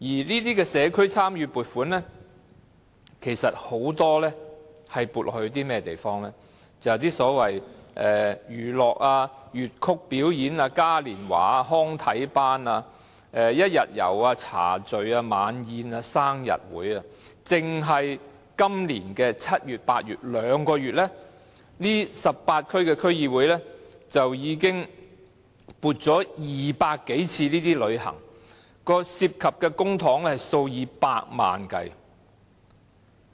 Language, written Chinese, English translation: Cantonese, 這些社區參與計劃的撥款其實很多時候是發放給一些所謂娛樂活動、粵曲表演、嘉年華、康體班、一天遊、茶敍、晚宴、生日會等，單在今年7月和8月這兩個月 ，18 區區議會已經為200多次旅行活動提供撥款，涉及公帑數以百萬元計。, Very often funding for these community involvement projects is actually granted for the so - called entertainment activities Cantonese opera shows carnivals sports classes one - day tours tea gatherings dinners birthday parties etc . In two months alone namely July and August this year the 18 DCs already granted funding for some 200 tour events involving millions of public money